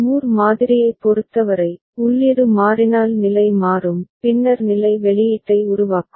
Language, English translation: Tamil, For Moore model, if input changes accordingly the state will change and then state will generate the output ok